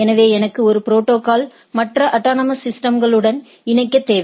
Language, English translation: Tamil, So, I need a protocol which allows us to connect to the other autonomous systems